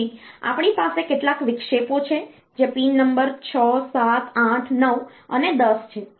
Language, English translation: Gujarati, So, like given by the pin number 6 7 8 9 and 10